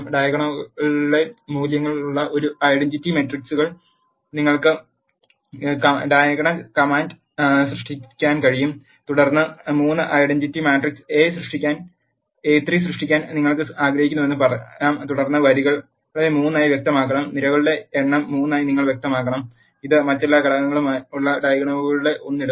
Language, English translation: Malayalam, You can create an identity matrices in the diag command with the values in the diagonals has to be 1 and then let us say you want to create a 3 by 3 identity matrix you have to specify then rows as 3 and number of columns as 3 and it will put 1 in the diagonals with all other elements as 0